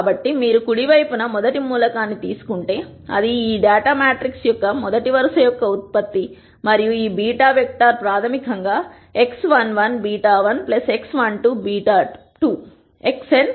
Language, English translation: Telugu, So, if you take the rst element on the right hand side, that would be a product of the rst row of this data matrix and this beta vector which would basically be x 11 beta one plus x 12 beta 2; all the way up to x 1 and beta n equals 0